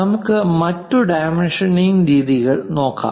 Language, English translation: Malayalam, Let us look at other dimensioning